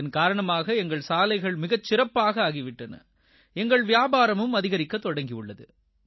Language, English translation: Tamil, As a result of this, our roads have improved a lot and business there will surely get a boost